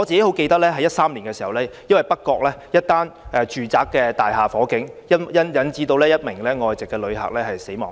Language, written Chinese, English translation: Cantonese, 我記得2013年北角一座住宅大廈發生火警，引致一名外籍旅客死亡。, As I can recall a fire broke out at a residential building in North Point in 2013 and led to the death of a foreign tourist